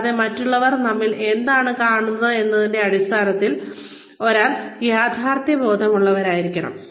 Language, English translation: Malayalam, And, one has to be realistic, in terms of, what others see, in us